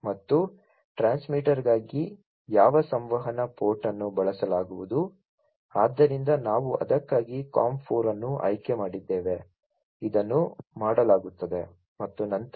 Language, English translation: Kannada, And also for the transmitter, which communication port is going to be used so we have selected COM 4 for itso, this is done and thereafter